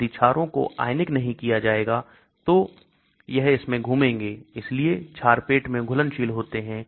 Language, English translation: Hindi, If the bases will not get ionized so it will travel through, so bases are soluble in the stomach